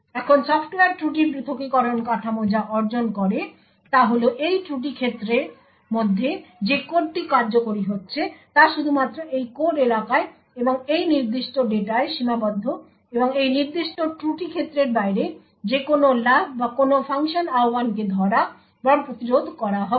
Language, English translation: Bengali, Now what the Software Fault Isolation framework achieves is that code that is executing within this fault domain is restricted to only this code area and this particular data and any jumps or any function invocation outside this particular fault domain would be caught or prevented